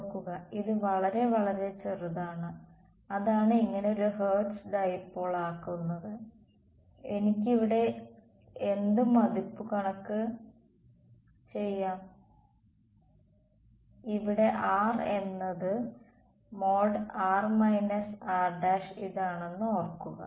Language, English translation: Malayalam, Remember, this delta z is very very small that is what makes its a Hertz dipole, what approximation can I make over here, remember r over here is mod r minus r prime